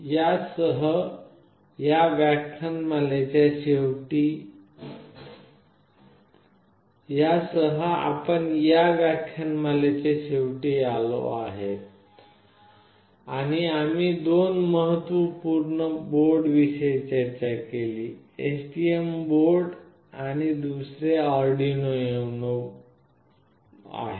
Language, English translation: Marathi, S We have actually come to the end of this lecture and we have discussed about two important boards; one is the STM board another is Arduino UNO